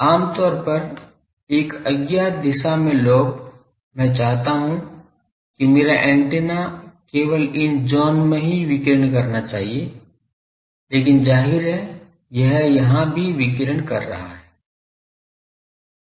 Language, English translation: Hindi, Generally, the lobe in an unintended direction, I want that my antenna should radiate only in these zone , but obviously, it is also radiating here